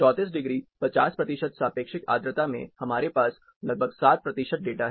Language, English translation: Hindi, 34 degrees, 50 percent relative humidity, we had about 7 percentage a data